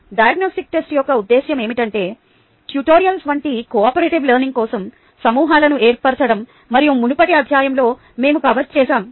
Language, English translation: Telugu, the purpose of the diagnostic test is to form groups for cooperative learning, as such as the tutorials and so on, so forth that we covered in a previous chapter